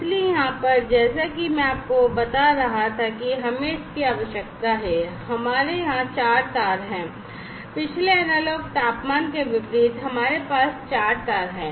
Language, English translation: Hindi, So over here as I was telling you that we need so, we have 4 wires over here, unlike the previous analog temperature one so, we have 4 wires